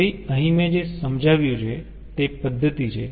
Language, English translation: Gujarati, so here ah, what i ah explained is the methodology